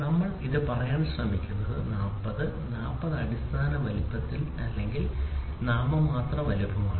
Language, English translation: Malayalam, So, what are we trying to say 40, 40 is the basic size basic or the nominal size